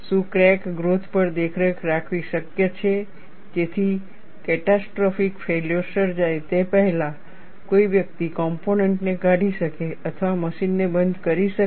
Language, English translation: Gujarati, Is it possible to monitor crack growth, so that one can discard the component or stop the machine before catastrophic failure can occur